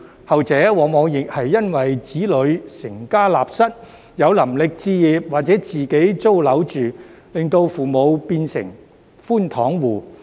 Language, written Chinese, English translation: Cantonese, 後者往往亦是因為子女成家立室，有能力置業或自己租樓住，令父母變成寬敞戶。, The latter is often the result of children who have started their own families and can afford to buy or rent their own homes thus turning their parents into under - occupation tenants